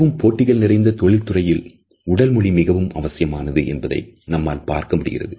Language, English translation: Tamil, We would find that in our highly competitive professions body language has become more and more important